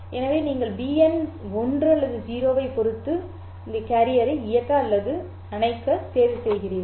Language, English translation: Tamil, So you are choosing to turn on or turn off depending on bn is equal to 1 or 0